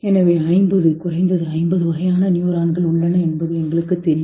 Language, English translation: Tamil, So we know there are 50, at least 50 type of neurons